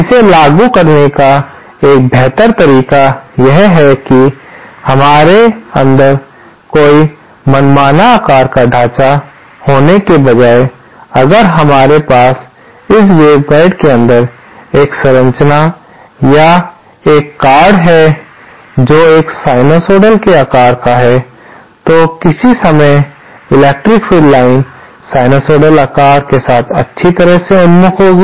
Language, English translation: Hindi, A better way of implementing this is instead of having any arbitrary shaped structure inside, if we have a structure or a card inside this waveguide that a sinusoidal shaped, then the electric field lines at some point of time will be oriented nicely along the sinusoidal shape